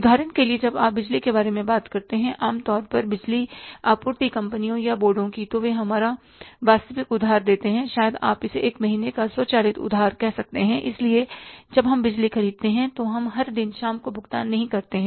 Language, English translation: Hindi, For example, when you talk about the power, normally the power supply companies or the boards, they give a actual credit or maybe you call it as the automatic credit of one month because when we buy electricity we don't pay every day in the evening